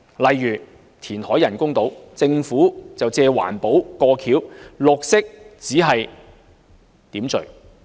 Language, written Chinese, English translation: Cantonese, 例如填海建造人工島，政府只是以"環保"作為幌子，"綠色"只是點綴而已。, An example is the construction of artificial islands by reclamation . The Government has taken it forward under the guise of environmental - friendliness and green is nothing more than a decorative touch to it